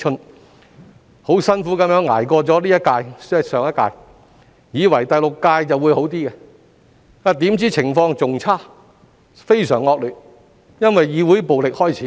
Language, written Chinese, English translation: Cantonese, 我們幾經辛苦捱過了這一屆——即上一屆——以為第六屆的局面就會好一些，怎料情況更差，甚至非常惡劣，因為議會暴力開始。, Having endured the hardship of that term―I mean the previous term―we thought that the situation would improve for the Sixth Legislative Council . Unexpectedly however the situation has gone worse so much worse than before with the emergence of violence in the legislature